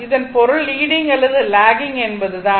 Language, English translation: Tamil, It mean is a leading or lagging, right